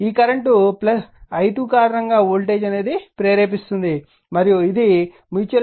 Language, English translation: Telugu, Because of this current i 2 a voltage will induce and this is your your mutual inductance was M